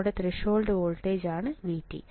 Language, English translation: Malayalam, V T is your threshold voltage